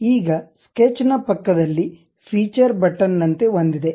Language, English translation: Kannada, Now, next to Sketch there is something like Features button